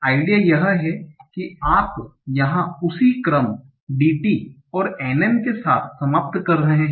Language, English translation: Hindi, So you are ending with the same sequence here, DT and NN